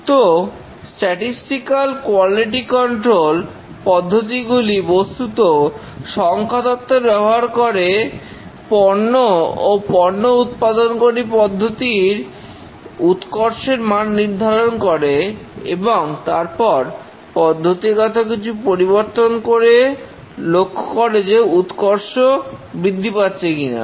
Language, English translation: Bengali, So, the statistical quality control techniques essentially use statistics to make inference about the quality of the output produced, the quality of the process that is produced, and then make changes to the process and see whether the quality is improving